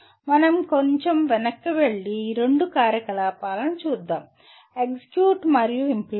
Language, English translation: Telugu, Let us go back a little bit and look at these two activities, execute and implement